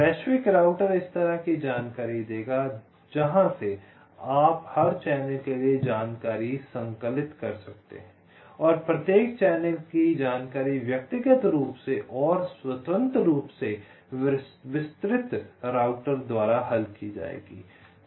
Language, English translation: Hindi, the global router will give information like this, from where you can compile information for every channel and the information from every channel will be solved in individually and independently by the detailed router